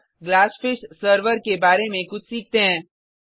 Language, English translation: Hindi, Now, let us learn something about Glassfish server